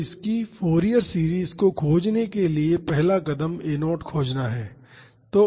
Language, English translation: Hindi, So, to find its Fourier series the first step is to find the coefficient a naught